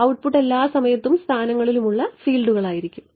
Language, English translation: Malayalam, Output will be fields that all times and in positions now what